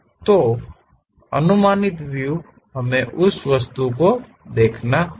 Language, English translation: Hindi, So, projected views we have to really see on that object